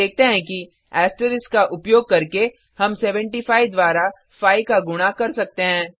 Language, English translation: Hindi, we see that by using asterisk we could multiply 75 by 5